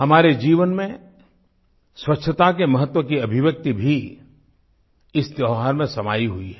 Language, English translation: Hindi, The expression of the significance of cleanliness in our lives is intrinsic to this festival